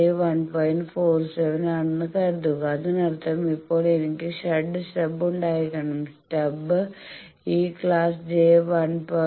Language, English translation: Malayalam, 47; that means, now I will have to have the shunt stub and I want that stub should then balance this class j 1